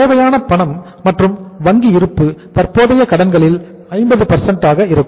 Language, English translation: Tamil, Cash and bank balance required will be half of this